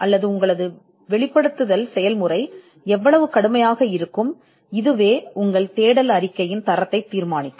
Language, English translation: Tamil, Or how rigorous the disclosure process will be, will actually determine the quality of your search report